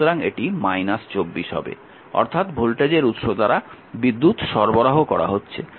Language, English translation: Bengali, So, minus 24 so, power supplied by the voltage source right